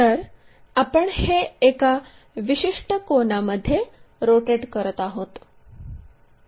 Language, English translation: Marathi, So, this one we rotate it with certain angle